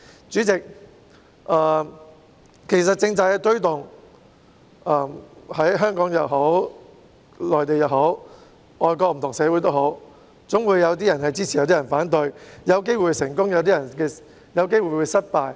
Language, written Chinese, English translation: Cantonese, 主席，其實推動政策的工作，在香港也好，內地也好，外國也好，總會有些人支持，有些人反對，有機會成功，亦有機會失敗。, President in fact regarding the promotion of policies no matter it is in Hong Kong the Mainland or foreign countries there are always some people who support it and some people who oppose it whereas there exists a chance of success and a chance of failure